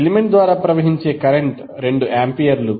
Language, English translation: Telugu, Current which is flowing through an element is 2 amperes